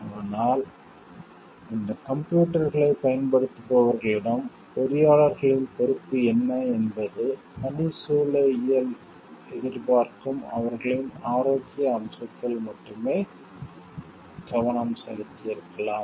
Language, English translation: Tamil, But what is the responsibility of the engineers towards the users of these maybe computers, there has only care taken for their health aspect the ergonomic expects